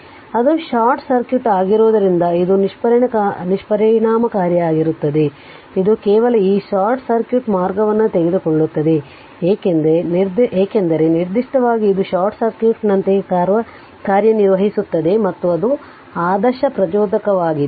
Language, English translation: Kannada, So, in that case as it is short circuit this will be ineffective right, it it is just take this short circuit path because particular it it acts like a short circuit as an it an ideally inductor right